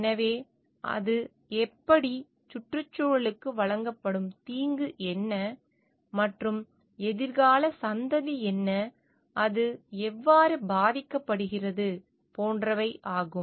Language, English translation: Tamil, So, because it like how what is the harm provided to the ecosystem, and what is the future generation, how it is getting harmed or not